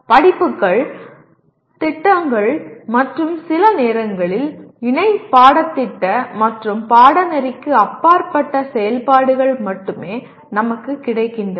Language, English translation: Tamil, The only activities that are available to us are courses, projects, and sometimes co curricular and extra curricular activities